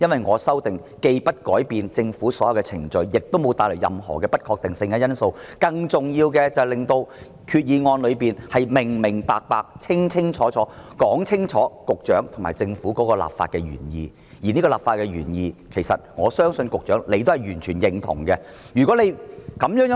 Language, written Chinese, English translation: Cantonese, 我的修訂議案既沒有改變政府的任何程序，亦沒有帶來任何不確定的因素，更重要的是令決議案清楚表明局長及政府的立法原意，而我相信局長是完全認同這個立法原意的。, My amending motion does not change any procedure of the Government nor does it bring any uncertainty . More importantly it will render the legislative intent of the Resolution clearer which I believe the Secretary fully agrees